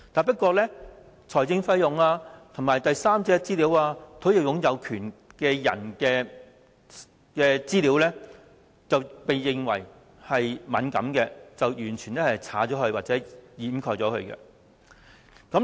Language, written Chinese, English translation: Cantonese, 不過，財政費用、第三者資料、土地擁有權人士的資料，均被視為敏感而完全刪去或遮蓋。, However information on financial costs third party particulars land ownership were all considered as sensitive and were deleted or redacted